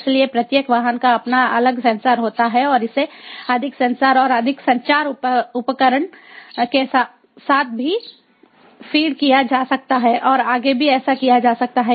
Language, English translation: Hindi, so in a, every vehicle has its own different sensors and it can even be feeded with more sensors, more communication equipment and so on even further